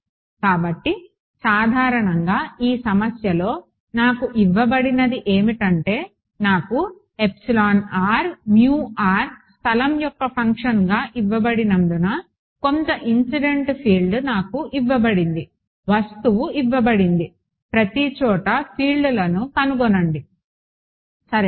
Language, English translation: Telugu, So, typically what is given to me in this problem is; epsilon r mu r as a function of space is given to me may be some incident field is given to me object is given find out the fields everywhere ok